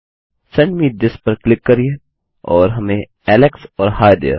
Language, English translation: Hindi, Click Send me this and we get Alex and Hi there